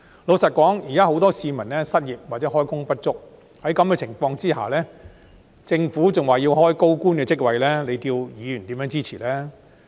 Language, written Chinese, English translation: Cantonese, 老實說，現時很多市民失業或開工不足，在此情況下，政府若仍表示要開設高官職位，叫議員如何支持呢？, To be honest under the current circumstances where many people are unemployed or underemployed if the Government still indicates a wish to create high - ranking official posts how can Members support it?